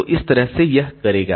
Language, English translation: Hindi, So, this way it continues